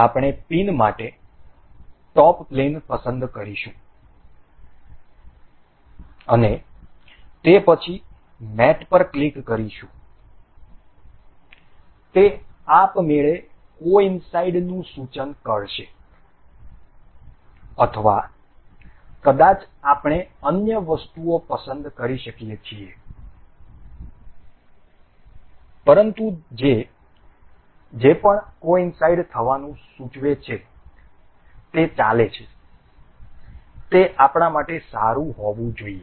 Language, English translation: Gujarati, We will select the top plane for the pin, and then click on mate, it will it is automatically suggesting to coincide or or maybe we can select other things, but whatever it is suggesting to coincide it is going, it should be good for us